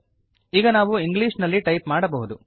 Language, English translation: Kannada, We can now type in English